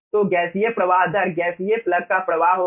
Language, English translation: Hindi, so the gaseous flow rate will be flow of the gaseous plug